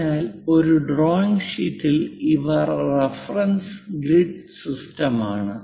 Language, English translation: Malayalam, If we are looking at this on the drawing sheet we can see a reference grid system